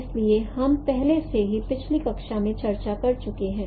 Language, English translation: Hindi, So this we have already discussed in the previous class